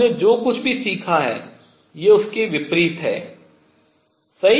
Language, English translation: Hindi, These are contradicting whatever we have learnt right